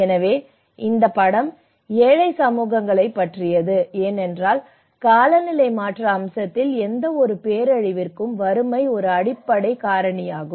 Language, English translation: Tamil, So, this film is all about the poor communities because the poverty is an underlying factor for any of disaster in the climate change aspect